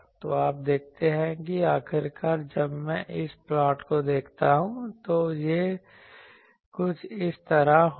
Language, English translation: Hindi, So, you see that finally, when I take this plot, it will be something like this